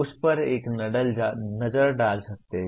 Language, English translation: Hindi, One can look at that